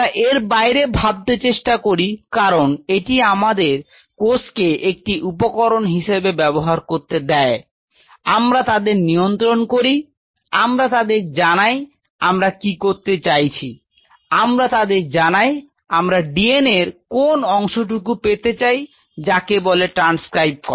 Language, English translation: Bengali, Let us think beyond this because let us use cells as a tool, we govern them we tell them what we wanted to do, we tell them then which part of the DNA we want to put you know transcribed